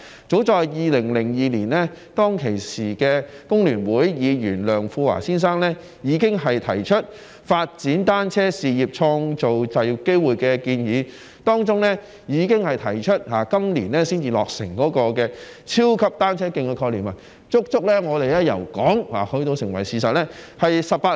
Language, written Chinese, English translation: Cantonese, 早在2002年，當時工聯會的前立法會議員梁富華先生已經提出"發展單車事業，創造就業機會"的建議，提出今年才落成的超級單車徑的概念，由我們提出到成為事實，足足用了18年。, As early as 2002 Mr LEUNG Fu - wah former Legislative Council Member of FTU put forward the proposal of developing the bicycle business to create job opportunities and proposed the concept of the super cycling track which is completed this year . It has taken 18 years to realize the concept since we proposed it